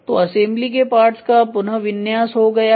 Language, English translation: Hindi, So, reorientation of assembly part of the assembly is done